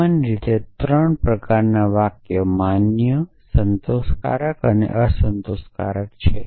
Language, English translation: Gujarati, So, in general there are three kind of sentences valid satisfiable and unsatisfiable